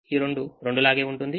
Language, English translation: Telugu, two remains as two